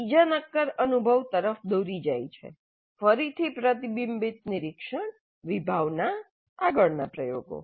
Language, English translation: Gujarati, This leads to another concrete experience, again reflective observation, conceptualization, further experimentation